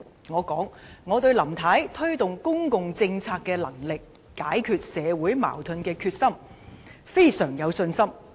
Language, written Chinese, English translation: Cantonese, 我說，我對林太推動公共政策的能力和解決社會矛盾的決心，都非常有信心。, I said that I was very confident in Mrs LAMs ability to implement public policies and her determination to resolve social conflicts